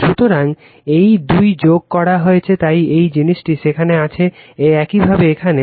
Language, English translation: Bengali, So, this 2 are added, so that is why your this thing is there right, similarly here right